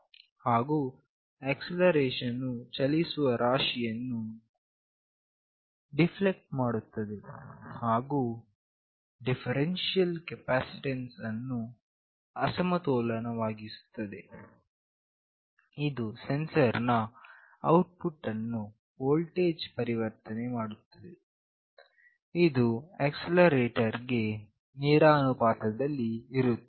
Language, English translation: Kannada, And the acceleration deflects the moving mass and unbalances the differential capacitor, this results in a sensor output as voltage that is proportional to the acceleration